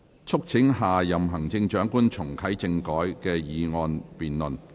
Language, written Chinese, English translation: Cantonese, "促請下任行政長官重啟政改"的議案辯論。, The motion debate on Urging the next Chief Executive to reactivate constitutional reform